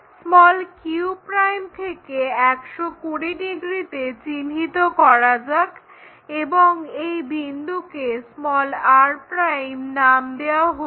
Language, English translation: Bengali, From q', let us locate this 120 degrees and let us call this point as r'